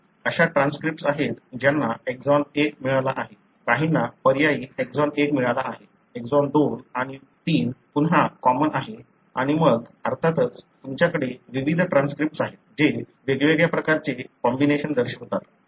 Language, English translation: Marathi, So, there are transcripts that has got exon 1, some has got alternate exon 1, exon 2 and 3 again is common and then of course, you have various transcript that show different kind of combinations